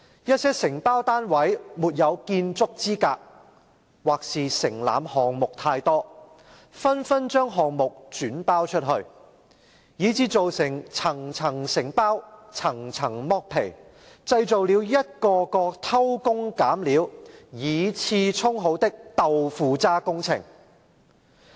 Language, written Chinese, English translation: Cantonese, 一些承包單位沒有建築資格，或是承攬項目太多，紛紛將項目轉包出去，以致造成層層承包、層層剝皮，製造了一個個偷工減料、以次充好的'豆腐渣'工程！, Some contractors do not have construction qualifications or they have taken up too many projects hence they have subcontracted some items leading to subcontracting and exploitation at various levels and giving rise to quite a number of jerry - built shoddy projects through the use of inferior materials!